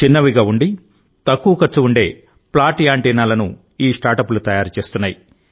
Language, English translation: Telugu, This startup is making such flat antennas which will not only be small, but their cost will also be very low